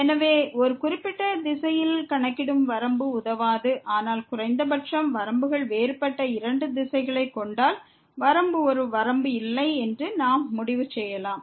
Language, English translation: Tamil, So, computing limit along a particular direction will not help, but at least if we find two directions where the limits are different, then we can conclude that limit is a limit does not exist